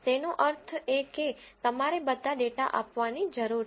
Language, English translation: Gujarati, That means you need to give all the data